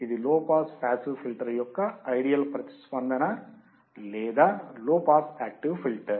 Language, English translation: Telugu, This is an ideal response of the low pass passive filter or low pass active filter